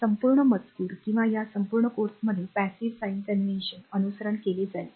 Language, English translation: Marathi, Throughout the text or throughout this course we will follow the passive sign convention